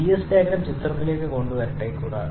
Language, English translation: Malayalam, Let me get the Ts diagram into picture also